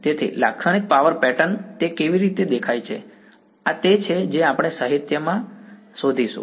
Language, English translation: Gujarati, So, typical power pattern how does it look like, this is what we will find in the literature